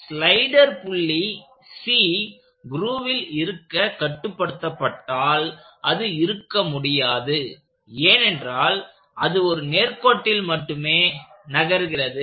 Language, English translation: Tamil, If the slider point C is constrained to remain in the grove it cannot have, because it is only moving on a straight line